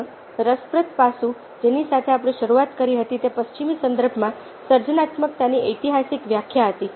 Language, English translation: Gujarati, another interesting aspect which we began was the historical definition of creativity in the western context